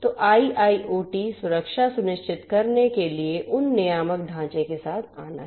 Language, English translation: Hindi, So, one is to come up with those regulatory framework for ensuring IIoT security